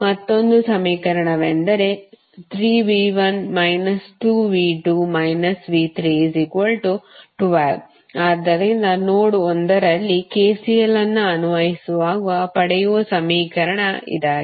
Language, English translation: Kannada, So, one equation which you got is 3V 1 minus 2V 2 minus V 3 is equal to 12, so this is the equation you got while applying KCL at node 1